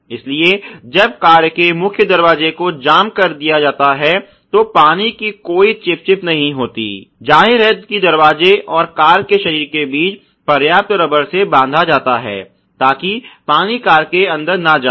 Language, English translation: Hindi, So, that there is no sticking of water once the door is jammed to the main body of the car there is obviously sufficient packing of rubber between the door and the body of the car, so that the water may not go inside the car ok